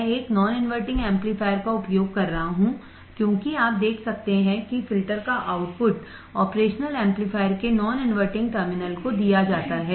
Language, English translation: Hindi, I am using a non inverting amplifier as you can see the output of the filter is fed to the non inverting terminal of the operational amplifier